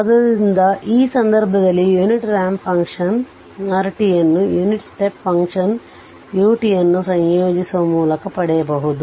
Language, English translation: Kannada, So, unit ramp function, in this case unit ramp function r t can be obtained by integrating the unit step function u t